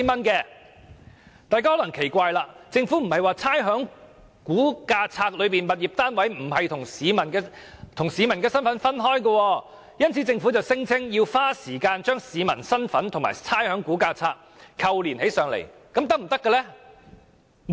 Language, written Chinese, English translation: Cantonese, 大家可能會奇怪，政府不是說在差餉估價冊中，物業單位與市民的身份是分開的，所以要花時間把市民身份與差餉估價冊扣連起來嗎？, One may wonder how this is done as the Government said that in the Valuation List information concerning the tenement and its ratepayer is separated and it takes time to link up the two